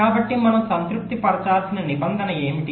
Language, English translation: Telugu, so what is the condition we have to satisfy